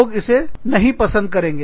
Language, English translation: Hindi, People do not like that